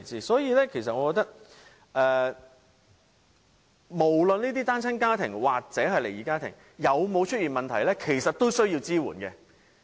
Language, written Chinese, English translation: Cantonese, 所以，我覺得無論這些單親家庭或離異家庭有沒有出現問題，我們都需要提供支援。, Hence in my view no matter there is any problem in these single - parent families and split families or not we need to provide support to them